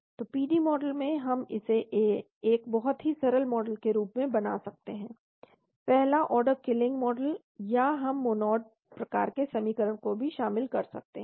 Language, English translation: Hindi, So in the PD model we can make it as a very simple model first order killing model or we can incorporate Monod type of equation also